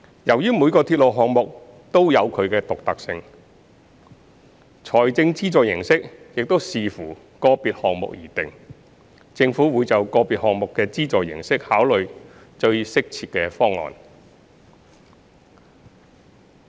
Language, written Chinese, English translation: Cantonese, 由於每個鐵路項目也有其獨特性，財政資助形式應視乎個別項目而定，政府會就個別項目的資助形式考慮最適切的方案。, Since each railway project has its own uniqueness the form of funding support will depend on the individual project . The Government will consider the most appropriate method for funding each individual project